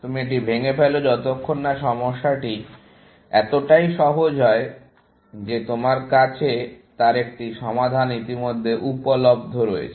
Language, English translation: Bengali, You break it down, till the problem is so simple that you have a solution, already available, essentially